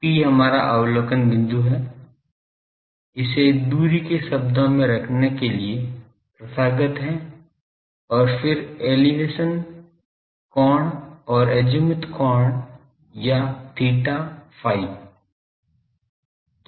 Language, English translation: Hindi, P is our observation point it is customary to put these in terms of the distance, then elevation angle and azimuth angle or theta, phi